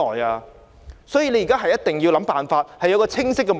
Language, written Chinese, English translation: Cantonese, 政府現時一定要想辦法，並定下清晰的目標。, At the moment the Government must work out a solution and set a clear goal